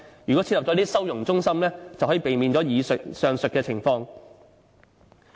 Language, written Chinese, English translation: Cantonese, 如果設立收容中心，便可以避免上述情況。, If a holding centre is set up we can avoid the above situations